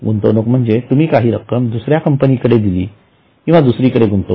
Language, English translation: Marathi, Investment means you have to give it money to some other company or somewhere else